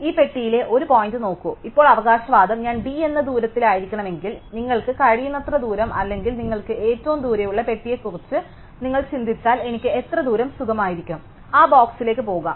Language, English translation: Malayalam, So, look at a point here in this box, now the claim is that if I have to be within distance d, then how far away can I be well, if you think about it the furthest you can be or the furthest box you can go to, go to that box